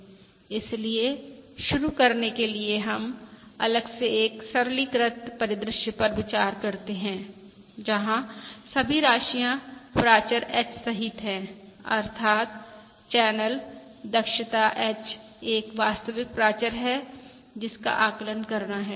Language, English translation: Hindi, So, to begin with, we consider aside a simplistic scenario where all the quantities, including the parameter H, that is, the channel efficient H to be estimated is a real parameter